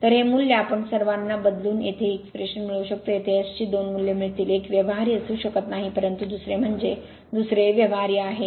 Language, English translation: Marathi, So, this value is equal to we substitute all you will get this expression here you will get two values of S here, one may not be feasible, but another is your another is feasible right